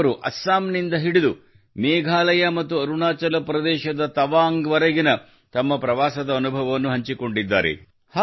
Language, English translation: Kannada, She narrated me the experience of her journey from Assam to Meghalaya and Tawang in Arunachal Pradesh